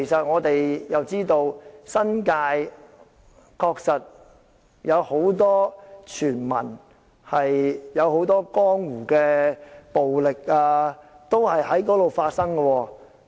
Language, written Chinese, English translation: Cantonese, 我們知道，新界確實有很多傳聞，有很多江湖的暴力也在那裏發生。, As we all know the New Territories are full of rumours and a number of gang - related violence have happened there